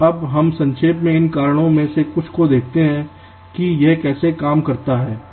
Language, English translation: Hindi, now let us briefly look at some of this steps to just understand how this works